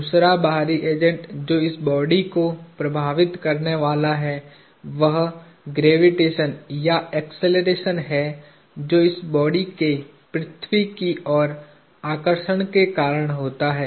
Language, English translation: Hindi, The second external agent that is going to influence this body is gravity or acceleration that is caused by Earth’s attraction of this body